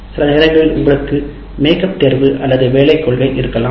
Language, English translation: Tamil, And sometimes you have make up examination or work policy